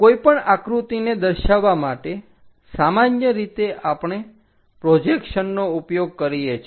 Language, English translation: Gujarati, To describe about any picture, in the overall perspective we use projections